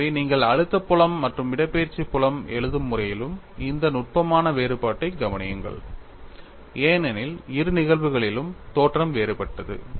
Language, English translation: Tamil, So, note this subtle difference in the way you write the stress field as well as the displacement field, because the origins are in different in both the cases